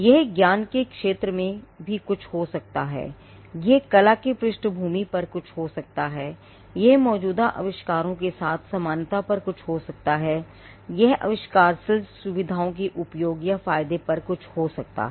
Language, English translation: Hindi, It could have something on what is the field of knowledge, it could have something on the background art, it could have something on similarities with existing inventions, it could have something on uses advantages, the inventive features